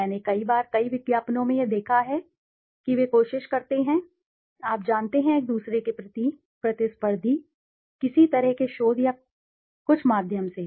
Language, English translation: Hindi, I have said many a times in several advertisements it has been seen that they try to, you know, be little each other, the competitors, through some kind of a research backing or something